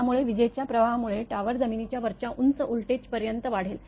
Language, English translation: Marathi, That lightning current will raise the tower to a high voltage above the ground